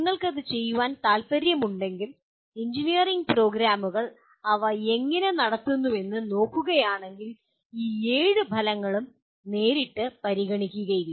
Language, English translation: Malayalam, If you want to do that because if you look around the engineering programs the way they are conducted these seven outcomes are hardly addressed directly